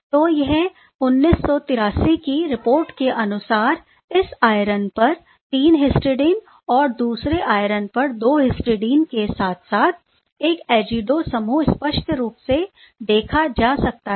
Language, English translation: Hindi, So, this is from the this 1983 report as you can see clearly 3 histidine on one iron 2 histidine on another iron as well as the azido group